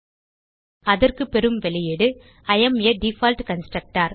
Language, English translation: Tamil, So we get output as I am a default constructor